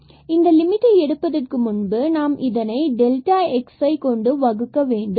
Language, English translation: Tamil, So, before we take the limit we can divide by this delta x